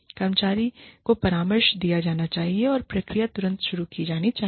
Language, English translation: Hindi, And, the employee should be counselled, or the process should be started, immediately